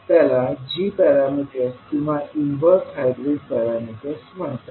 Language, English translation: Marathi, They are called as a g parameter or inverse hybrid parameters